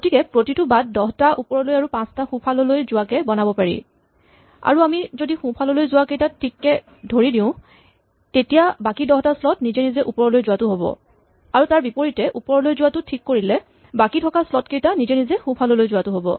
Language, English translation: Assamese, So, every path can be drawn out like this as 10 up moves and 5 right moves and if we fix the 5 right moves then automatically all the remaining slots must be 10 up moves or conversely